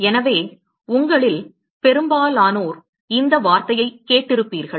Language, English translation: Tamil, So, most of you would have heard this term